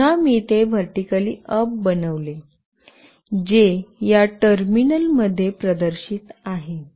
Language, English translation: Marathi, Now, again I have made it vertically up, which is displayed in this terminal